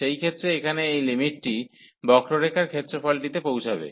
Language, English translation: Bengali, So, in that case this limit here will approach to the area under the curve